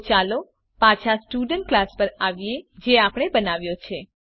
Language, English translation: Gujarati, So let us come back to the Student class which we created